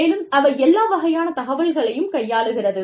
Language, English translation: Tamil, And, they handle, all kinds of information